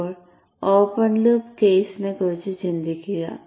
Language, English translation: Malayalam, Now think of the open loop case